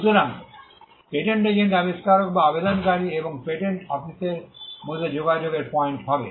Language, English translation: Bengali, So, the patent agent will be the point of contact between the inventor or the applicant and the patent office